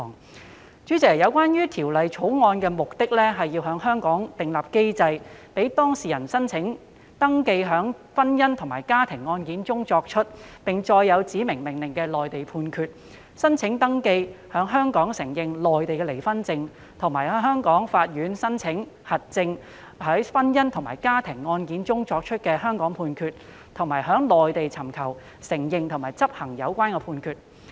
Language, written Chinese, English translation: Cantonese, 代理主席，《條例草案》的目的，是要在香港訂立機制，讓當事人申請登記在婚姻或家庭案件中作出、並載有指明命令的內地判決，申請登記在香港承認內地離婚證，以及向香港法院申請核證在婚姻或家庭案件中作出的香港判決，並在內地尋求承認和執行有關判決。, Deputy President the Bill seeks to establish mechanisms in Hong Kong for the registration of Mainland judgments with specified orders in matrimonial or family cases for the recognition of Mainland divorce certificates in Hong Kong and for the application to Hong Kong courts to certify the relevant Hong Kong judgment in a matrimonial or family case so as to facilitate recognition and enforcement of the concerned judgments in the Mainland